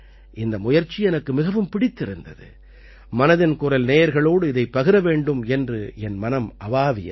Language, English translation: Tamil, I liked this effort very much, so I thought, I'd share it with the listeners of 'Mann Ki Baat'